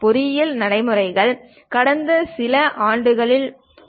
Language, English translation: Tamil, Engineering practices cover from past few hundred years